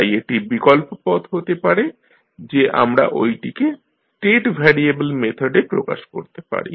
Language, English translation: Bengali, So, the alternate way can be that, we represent the same into state variable methods